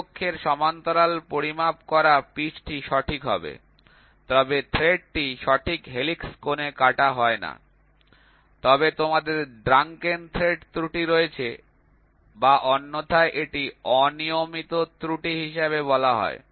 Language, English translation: Bengali, The pitch measured parallel to the thread axis will be correct, but the thread are not cut to the true helix angle, then you have a drunken thread error or it is otherwise called as irregular error